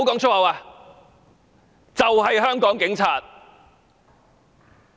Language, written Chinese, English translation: Cantonese, 這就是香港警察。, This is the Hong Kong Police Force